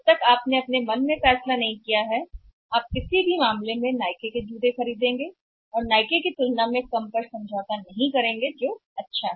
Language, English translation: Hindi, Until unless if you are not decided in your mind that you are going to buy Nike shoes in in any case you are not going to say compromise lesser than Nike that is good